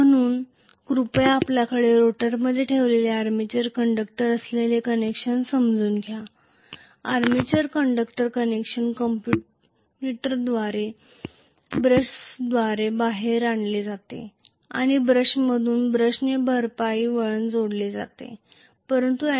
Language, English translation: Marathi, So please understand the connection you are having the armature conductors which are placed in the rotor, the armature conductors connection for brought out through brushes through the commutator and brushes from the brush the compensating winding will be connected, but in anti series